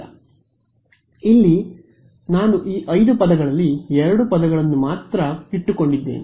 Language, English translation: Kannada, But here I am taking only out of these 5 terms I am only keeping 2 terms